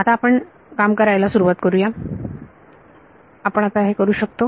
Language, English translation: Marathi, Now we can start now we can start working in it